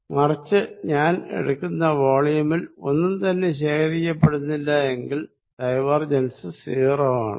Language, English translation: Malayalam, On the other hand, if I take volume here nothing accumulates then divergent is 0